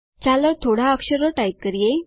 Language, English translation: Gujarati, Lets type a few more letters